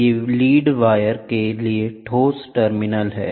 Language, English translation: Hindi, These are the solid terminal for lead wire, ok